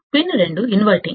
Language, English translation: Telugu, Pin 2 is inverting